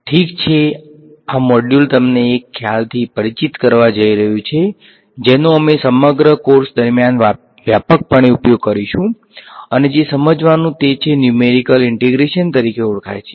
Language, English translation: Gujarati, Alright so, this module is going to introduce you to a concept which we will use extensively throughout the course and that is dealing with what is called Numerical Integration